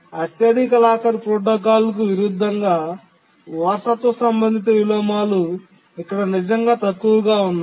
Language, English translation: Telugu, And in contrast to the highest locker protocol, the inheritance related inversions are really low here